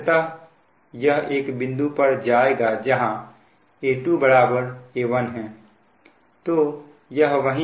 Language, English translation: Hindi, finally, it will go to a point where a two will be is equal to a one